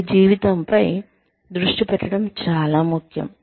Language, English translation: Telugu, It is very important, to focus on your life